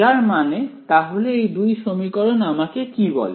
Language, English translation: Bengali, So, what do these two equations tell me